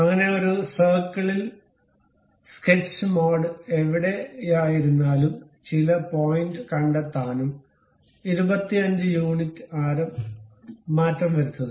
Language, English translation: Malayalam, So, in the sketch mode go to a circle locate some point and change its radius to 25 units